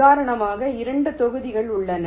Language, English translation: Tamil, these are two blocks